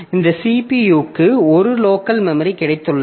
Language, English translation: Tamil, So this CPU itself has got a local memory